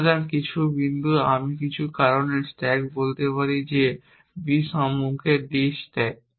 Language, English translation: Bengali, So, some point I might say stack for some reason that stack d onto b